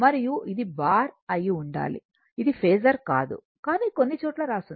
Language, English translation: Telugu, And this one should be your bar right it is not a phasor few places it is written there